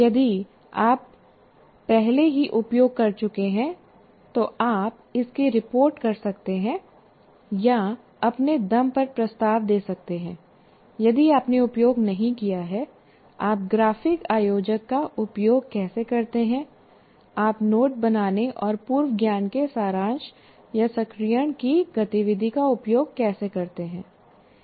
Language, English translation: Hindi, If you have already used, one can report that, or let's say we are requesting you to kind of propose on your own if you have not used, how do you use a graphic organizer or how do you use the activity of note making and summarizing or activation of prior knowledge